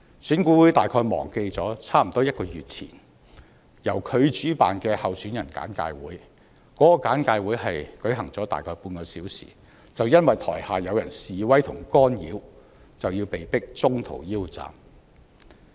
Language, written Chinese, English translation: Cantonese, 選管會大概忘記了差不多1個月前由它主辦的候選人簡介會，只舉行了大概半小時，就因為台下有人示威和干擾，被迫中途腰斬。, EAC has probably forgotten the briefing session for candidates held about a month ago . The session was forced to end about half an hour after commencement due to protests and disruptions from the audience